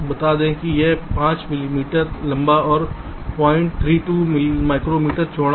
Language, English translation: Hindi, lets say it is five millimeter long and point three, two micrometer wide